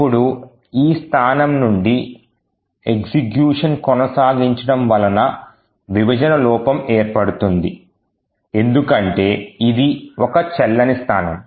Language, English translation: Telugu, Now further execution from this location would result in a segmentation fault because this is an invalid location